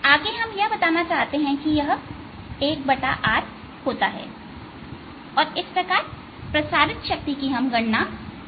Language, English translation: Hindi, next, you want to show that it is one over r and therefore calculate the power radiant